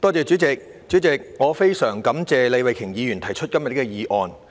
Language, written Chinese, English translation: Cantonese, 主席，我十分感謝李慧琼議員提出今天的議案。, President I am very grateful to Ms Starry LEE for proposing todays motion